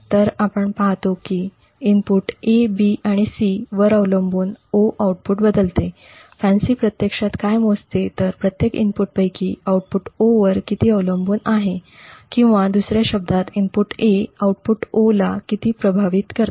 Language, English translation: Marathi, So we see that the output O varies depending on the inputs A, B and C what FANCI actually measures is how much each of these inputs have on the output O, in other words how much does the input A affect the output O and so on